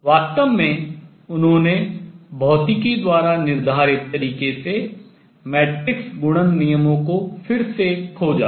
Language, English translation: Hindi, In fact, he rediscovered in a way dictated by physics the matrix multiplication rules